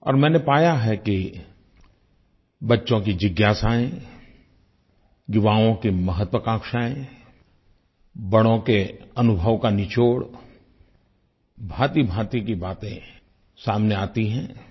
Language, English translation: Hindi, I have come across the inquisitiveness of children, the ambitions of the youth, and the gist of the experience of elders